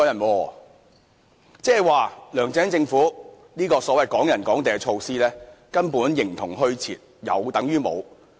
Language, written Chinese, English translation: Cantonese, 換言之，梁振英政府這項所謂的"港人港地"措施根本形同虛設，有等於無。, In other words this so - called Hong Kong property for Hong Kong residents measure from the LEUNG Chun - ying Government performs practically no function and is useless